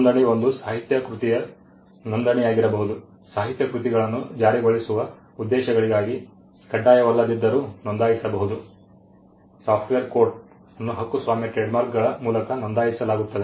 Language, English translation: Kannada, Registration could be registration of a literary work literary works can be registered though it is not mandatory for enforcement purposes, software code gets registered by way of a copyright trademarks are registered